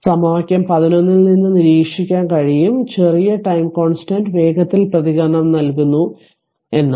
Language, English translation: Malayalam, So, it can be observed from equation 11 that the smaller the time constant the faster the response this is shown in figure four